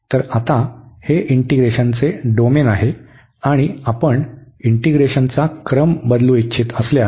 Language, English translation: Marathi, So, this was the given order of the integration, and now we want to change the order